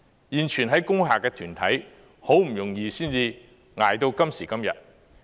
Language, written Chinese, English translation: Cantonese, 現存在工廈的團體，好不容易才捱到今時今日。, The groups remaining in the industrial buildings have been enduring a tough ordeal to this day